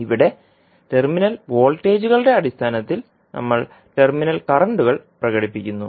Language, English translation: Malayalam, Here, we are expressing the terminal currents in terms of terminal voltages